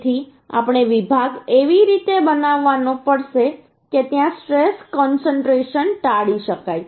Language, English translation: Gujarati, So we have to make the section in such a way there stress concentration can be avoided